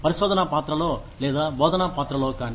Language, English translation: Telugu, Either in a research role, or in a teaching role